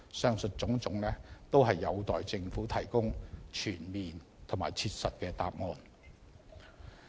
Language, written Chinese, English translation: Cantonese, 上述種種，均有待政府提供全面和切實的答案。, The Government is expected to offer a comprehensive and practical answer to all these issues